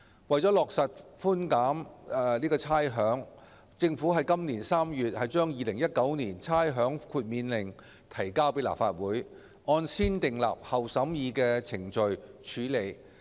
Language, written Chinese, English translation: Cantonese, 為了落實差餉寬減，政府於今年3月把《2019年差餉令》提交立法會，按先訂立後審議的程序處理。, In order to effect the rates concession the Government tabled the Rating Exemption Order 2019 the Order at the Legislative Council this March for negative vetting